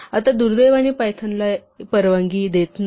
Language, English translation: Marathi, Now, unfortunately python does not allow this